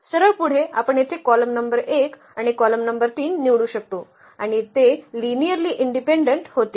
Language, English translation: Marathi, So, a straight forward we can pick the column number 1 here and the column number 3 and they will be linearly independent